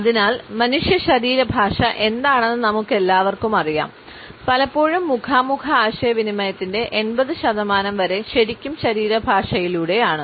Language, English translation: Malayalam, So, we all know what human body language is; often times up to 80 percent of face to face communication is really through body language